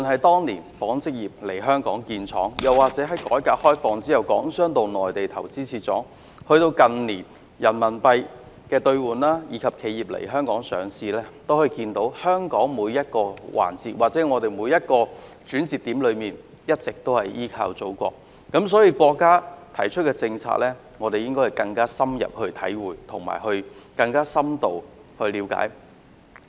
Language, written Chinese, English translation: Cantonese, 當年紡織業來港設廠，在改革開放後，港商回到內地投資設廠，近年的人民幣兌換業務，以及企業來港上市等，皆反映出香港在每個環節或每個轉折點都一直依靠祖國，所以我們應該更深入體會及了解國家提出的政策。, After Chinas reform and opening up Hong Kong entrepreneurs went back to the Mainland to invest in factories . In recent years Renminbi exchange business has flourished and Mainland enterprises have come to list in Hong Kong . All these reflect that Hong Kong has been relying on the Motherland in each and every aspect or turning point